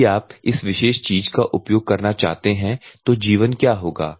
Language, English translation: Hindi, If at all you want to use this particular thing what will be the life